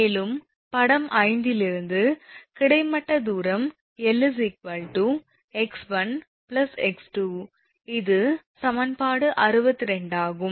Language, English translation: Tamil, Therefore, your L is equal to x 1 plus x 2, this is the equation 62